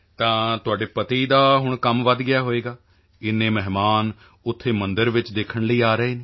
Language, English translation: Punjabi, So your husband's work must have increased now that so many guests are coming there to see the temple